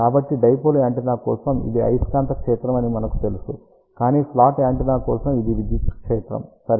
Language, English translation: Telugu, So, we know that for a dipole antenna this is magnetic field, but for a slot antenna, it will be electric field ok